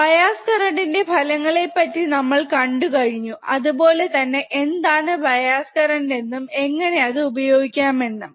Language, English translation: Malayalam, Now we have already seen the effect of bias current, or what is the bias current and how it can be used right